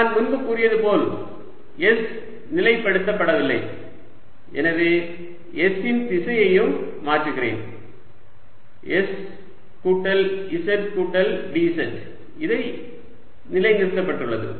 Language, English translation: Tamil, as i said earlier, s is not fix, so i am also changing the direction of s plus z plus d z, which is fixed